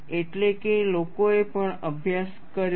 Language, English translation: Gujarati, That is also people have studied